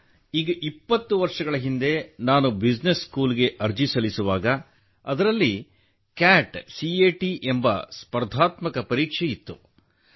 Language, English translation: Kannada, Sir, when I was applying for business school twenty years ago, it used to have a competitive exam called CAT